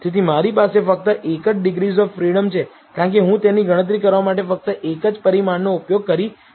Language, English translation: Gujarati, So, I have only one degrees of freedom, since, I am using only one parameter to compute it